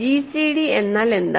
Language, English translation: Malayalam, So, what is gcd